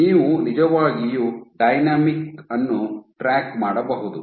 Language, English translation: Kannada, So, you can actually track the dynamic